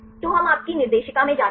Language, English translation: Hindi, So, then we go to your directory